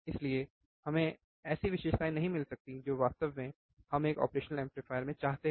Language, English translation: Hindi, So, we cannot have the characteristics that we really want in an operational amplifier